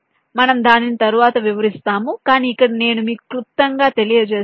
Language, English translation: Telugu, we shall explain it later, but here let me just briefly tell you about ah